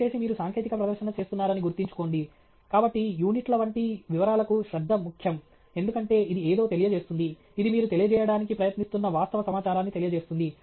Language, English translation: Telugu, Please remember you are making a technical presentation, so attention to details such as units is important, because that conveys something… that conveys the actual information that you are trying to convey